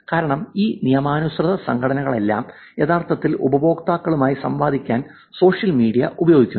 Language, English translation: Malayalam, Because all of these legitimate organizations are actually using social media to interact with their customers